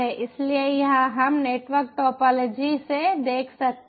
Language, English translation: Hindi, so lets see the network topology